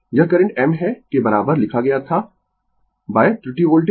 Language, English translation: Hindi, This current I m is equal to I wrote by mistake voltage